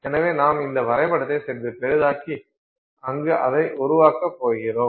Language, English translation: Tamil, So, we are just going to magnify this diagram a little bit and build on it from there